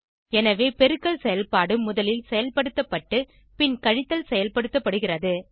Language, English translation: Tamil, So the multiplication opertion is performed first and then subtraction is performed